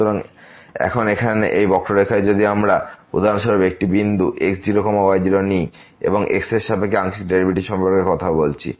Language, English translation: Bengali, So, now, here on this curve if we take a point for example, naught naught and we are talking about the partial derivative with respect to